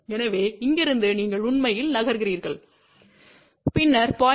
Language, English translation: Tamil, So, from here you actually move and then from 0